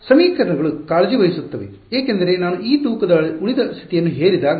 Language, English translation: Kannada, That the equations will take care off; because when I impose this weighted residual condition